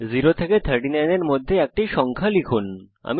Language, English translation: Bengali, Press Enter Enter a number between of 0 to 39